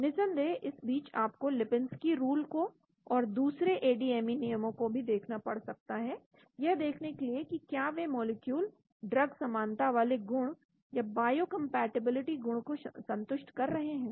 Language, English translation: Hindi, Of course in between you may also have to look at Lipinski’s rule and other ADME rules to see whether those molecules satisfy the drug likeness property or biocompatibility property